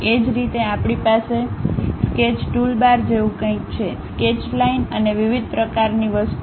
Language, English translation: Gujarati, Similarly, we have something like a Sketch toolbar something like Sketch, Line and different kind of thing